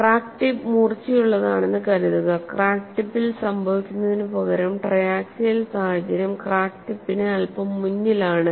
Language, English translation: Malayalam, Suppose, the crack tip is blunt instead of happening at the crack tip the triaxial situation will take place slightly ahead of the crack tip that is the way you have to look at it